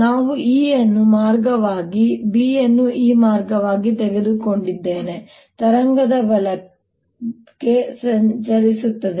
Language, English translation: Kannada, we have taken e going this way and b going this way, wave travelling to the right